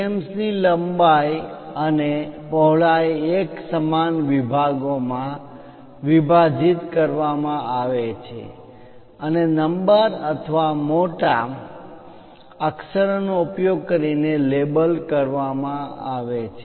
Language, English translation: Gujarati, The length and width of the frames are divided into even number of divisions and labeled using numerals or capital letters